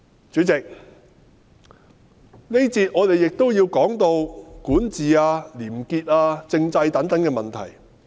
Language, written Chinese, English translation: Cantonese, 主席，這一個環節，我亦都要談談管治、廉潔、政制等問題。, President in this session I will also talk about issues such as governance probity and constitutional development